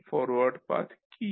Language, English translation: Bengali, What are those forward Path